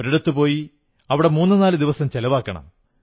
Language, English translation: Malayalam, Go to a destination and spend three to four days there